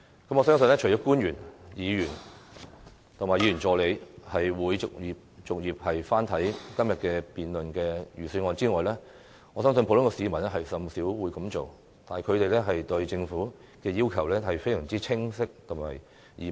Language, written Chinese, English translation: Cantonese, 我相信除了官員、議員和議員助理會逐頁翻看今天所辯論的預算案外，普通市民甚少會這樣做，但他們對政府的要求相當清晰易明。, I believe that other than officials Members and Members assistants few members of the public have read each page of the Budget that we are debating today but their demands to the Government are very specific and easily understood